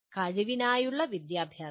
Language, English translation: Malayalam, And education for capability